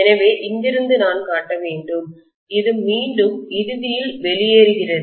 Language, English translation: Tamil, So I should show as though from here, this is again getting out ultimately